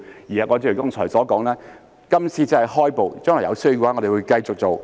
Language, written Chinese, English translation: Cantonese, 正如我剛才所說，今次只是開步，將來有需要的話，我們會繼續去做。, As I have said earlier this is just the very first step . We will continue to pursue such work in the future if necessary